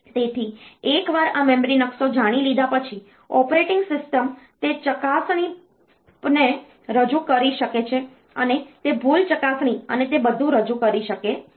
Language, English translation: Gujarati, So, once this memory map is known, operating system can introduce those checks and it can introduce the error checks and all that